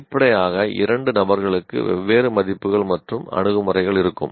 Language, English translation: Tamil, Obviously two individuals will have somewhat different values and attitudes